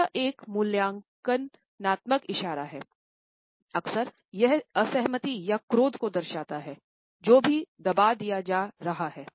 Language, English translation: Hindi, It is an evaluative gesture, often it shows disagreement or an anger which is being suppressed